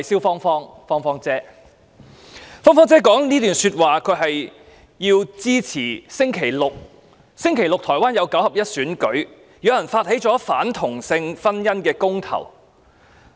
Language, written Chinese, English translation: Cantonese, "芳芳姐"以這段說話支持將於星期六舉行的台灣九合一選舉，因為是次選舉包含了反同性婚姻的公投。, With these remarks Madam Fong - fong expressed support for the nine - in - one elections to be held in Taiwan on Saturday because the elections will include a referendum against same - sex marriage